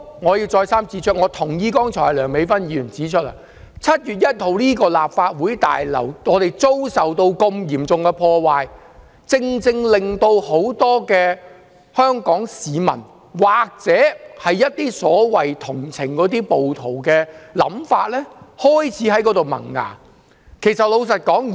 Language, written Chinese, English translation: Cantonese, 我要再三指出，我同意剛才梁美芬議員所說 ，7 月1日立法會大樓遭受嚴重破壞，令很多香港市民同情暴徒的想法開始萌芽。, I have to point out repeatedly that I share Dr Priscilla LEUNGs comment made just now that the serious damage done to the Legislative Council Complex on 1 July heralds many Hong Kong peoples sprouting of sympathy towards the rioters